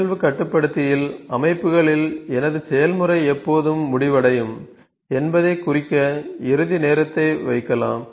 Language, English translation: Tamil, And in the event controller, in the settings I can put the end time when would my process end here